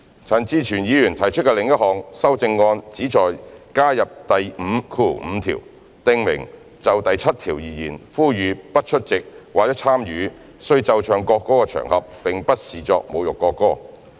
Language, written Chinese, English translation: Cantonese, 陳志全議員提出的另一項修正案旨在加入第55條，訂明"就第7條而言，呼籲不出席或參與須奏唱國歌的場合並不視作侮辱國歌"。, Another amendment proposed by Mr CHAN Chi - chuen seeks to add clause 55 to the Bill stipulating that for the purpose of section 7 calling for not attending or taking part in the occasions on which the national anthem must be played and sung is not regarded as insulting the national anthem